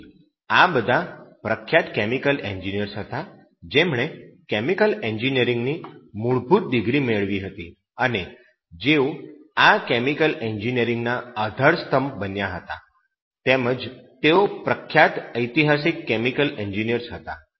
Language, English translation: Gujarati, So these chemical engineers were their renowned chemical engineers who have got that basic degree and science of chemical engineering, and they were building pillars of these chemical engineers and they were renowned historical chemical engineers there